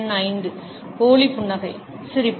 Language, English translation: Tamil, Number 5, fake smile, grin